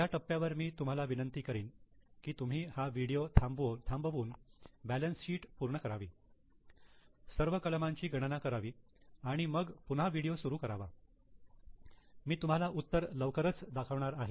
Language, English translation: Marathi, So, at this stage I will request you to stop the video, prepare the complete balance sheet, calculate these items and then continue and see in the video